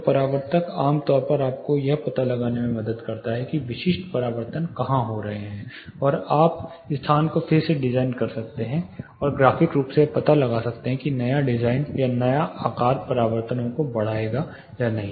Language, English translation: Hindi, So, reflectogram typically helps you find out where specific reflections are happening, and you can graphically avoid, no redesign the space itself and graphically find out, whether the new design or new shape, would enhance the reflections or not